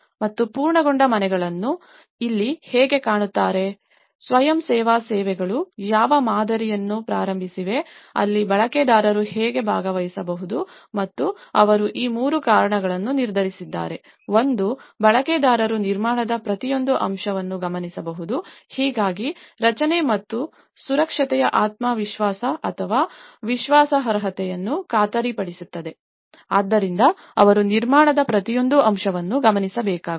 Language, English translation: Kannada, And the completed houses is how they look like and here, whatever the voluntary services have initiated a model, where how do the users can participate and they have decided these three reasons; one is the users could observe every aspect of the construction, thus guaranteeing the reliability of the structure and safety, so that they need to observe every aspect of the construction